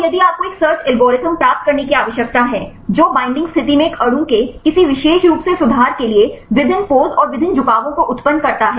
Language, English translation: Hindi, So, then if you need to derive a search algorithm, which generates various poses and different orientations right for any particular conformation of a molecule at the binding state